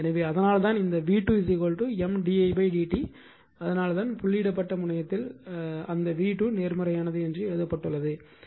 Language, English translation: Tamil, So, that is why this one v 2 is equal to M d i upon d t that is why it is written that your what you call that v 2 is positive, at the dotted terminal of coil 2 right